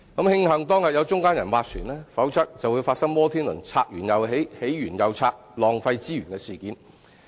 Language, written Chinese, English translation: Cantonese, 慶幸當日有中間人斡旋，否則便會發生摩天輪"拆完又起、起完又拆"，浪費資源的事件。, Had there been no mediation it would have been necessary to demolish the existing wheel and then erect a new one . A lot of resources would have been wasted in that case